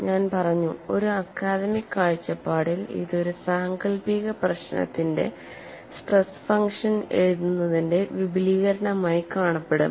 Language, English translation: Malayalam, As I said, from an academic point of view, it would look like an extension of writing a stress function to a fictitious problem